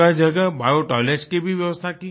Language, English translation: Hindi, Biotoilets were also provided at many places